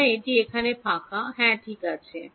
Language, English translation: Bengali, So, this is a blank over here yeah ok